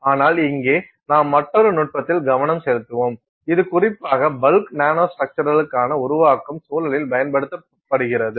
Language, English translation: Tamil, But here we will focus on another technique which is particularly used for in the context of making bulk nanostructures